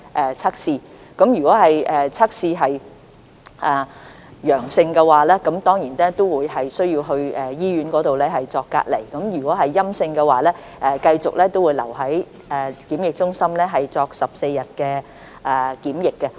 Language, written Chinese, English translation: Cantonese, 如測試結果是陽性，當然需要把他們轉送到醫院隔離，如結果是陰性，他們便會繼續留在檢疫中心接受14天檢疫。, Those who test positive will certainly be required to be transferred to hospitals for isolation . Those who test negative will continue to stay at quarantine centres up to 14 days